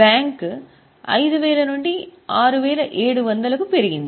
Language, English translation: Telugu, Bank has gone up from 5,000 to 6,700